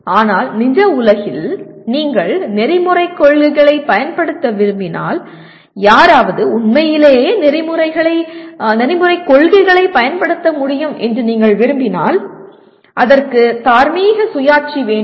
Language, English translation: Tamil, But in real world, if you want to apply ethical principles, if you want someone to really be able to apply ethical principles it requires what we call moral autonomy